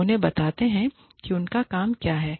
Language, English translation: Hindi, We tell them, what, their job entails